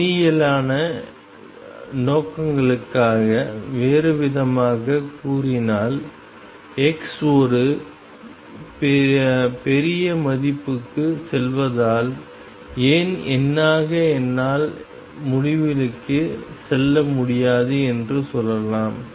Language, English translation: Tamil, In other words for numerical purposes we can say that as x goes to a large value why because numerically I cannot really go to infinity